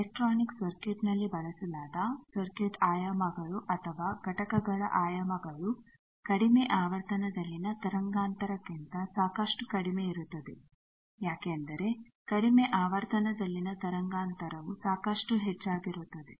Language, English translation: Kannada, We know that the circuit dimensions or components that are used in electronic circuit their dimensions are quite less than wave length in low frequency because low frequency wave length is quite large